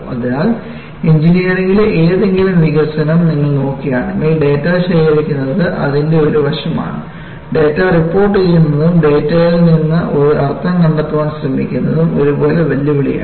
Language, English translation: Malayalam, So, if you look at any development engineering, collecting data is one aspect of it; reporting data and trying to find out a meaning from the data, is equally challenging